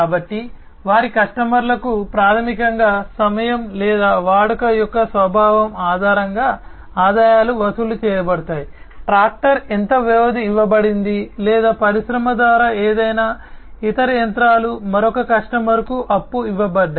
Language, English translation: Telugu, So, their customers are basically charged with the revenues based on the time or the nature of the usage, how much duration the tractor has been lent or any other machinery by the industry, has been lent to another customer